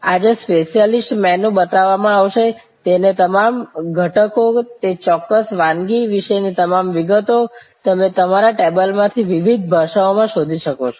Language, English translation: Gujarati, Today special menu will be shown, all the ingredients of that, all the details about that particular dish, you can actually search in various languages from your table